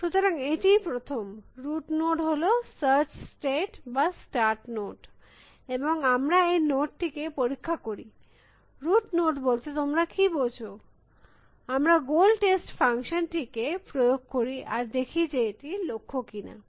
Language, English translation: Bengali, So, the first, the route node is a search start state or start note and we inspect that node, route note what do you mean by inspect, we apply the goal test function and we see, whether that is a goal